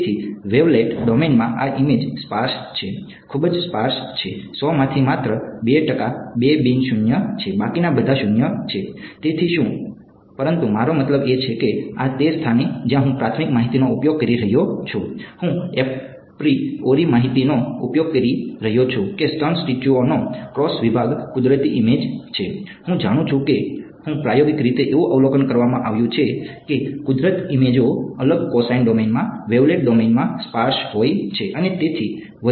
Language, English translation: Gujarati, So, what, but I mean this is the place where I am using a priori information, I am using the apriori information that the cross section of breast tissue is a natural image; I know I am empirically it has been observed the natural images are sparse in wavelet domain in discrete cosine domain and so on